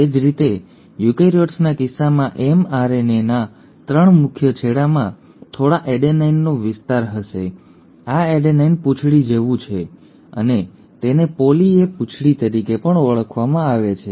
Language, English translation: Gujarati, Similarly the 3 prime end of the mRNA in case of eukaryotes will have a stretch of a few adenines, this is like an adenine tail and this is also called as a poly A tail